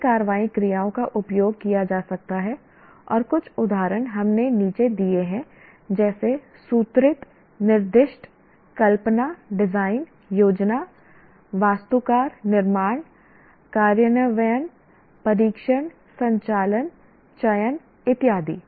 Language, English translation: Hindi, Several action verbs can be used and some examples we have given below like formulate, specify, conceive, design, plan, architect, build, implement, test, operate, select and so on and on